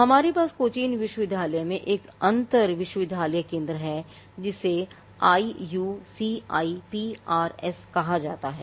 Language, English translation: Hindi, Now, we have one in cochin university it is called the IUCIPRS which is in centre it is an inter university centre